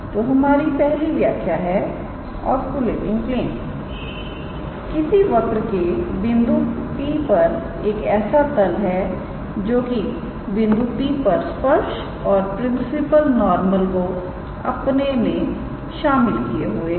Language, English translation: Hindi, So, the first definition is the oscillating plane to a curve to a curve at a point P is the plane containing the tangent and the principle normal at P